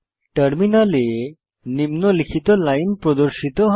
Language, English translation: Bengali, The following line will be displayed on the terminal